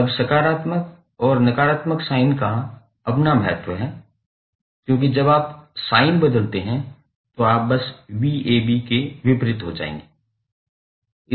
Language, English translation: Hindi, Now, positive and negative sign has its own importance because when you change the sign you will simply get opposite of v ab